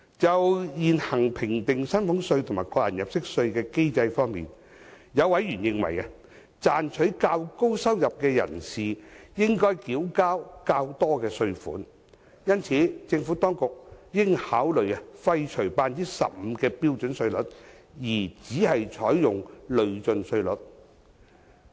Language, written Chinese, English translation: Cantonese, 就現行評定薪俸稅和個人入息課稅的機制方面，有委員認為，賺取較高收入的人士理應繳交較多稅款，因此政府當局應考慮廢除 15% 的標準稅率而只採用累進稅率。, As regards the existing mechanism for assessing salaries tax and tax under personal assessment a member considers that those who earn more should pay more tax and thus the Administration should consider abolishing the standard rate of 15 % and adopting only progressive rates